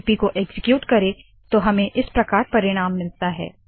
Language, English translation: Hindi, On executing the script, we see the output as follows